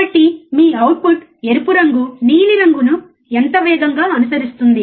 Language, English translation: Telugu, So, how fast your output that is your red follows your blue